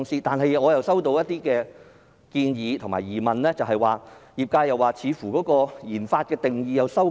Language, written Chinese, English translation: Cantonese, 但是，我收到業內一些建議及疑問，認為政府似乎收緊了研發的定義。, However I have received some suggestions and questions from my sector regarding the apparent tightening of the definition of research and development by the Government